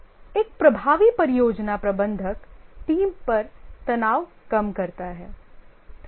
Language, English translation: Hindi, An effective project manager reduces stress on the team